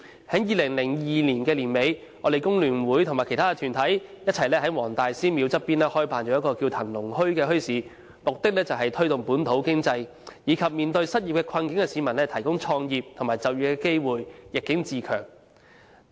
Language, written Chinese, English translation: Cantonese, 在2002年年底，工聯會與其他團體在黃大仙祠旁合辦了一個名為"騰龍墟"的墟市，目的是推動本土經濟，以及為面對失業困境的市民提供創業和就業的機會，逆境自強。, Towards the end of 2002 FTU joined other organizations in organizing a bazaar named as Dragon Market by the side of Wong Tai Sin Temple with the aim of promoting the local economy and providing employment and business start - up opportunities for those suffering from unemployment so as to help them remain strong despite the adversities . The Wong Tai Sin Dragon Market could be considered a great success